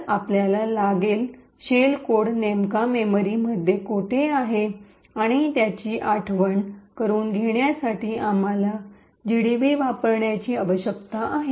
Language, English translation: Marathi, So, we would require to know where exactly in memory the shell code is present and in order to notice we would need to use GDB